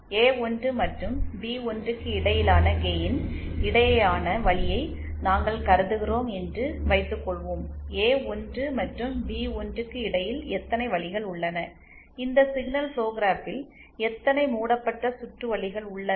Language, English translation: Tamil, Suppose we consider the path between, the gain between A1 and B1, then how many paths are there between A1 and B1 and how many loops are there in this signal flow graph